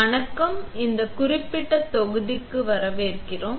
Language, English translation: Tamil, Hi, welcome to this particular module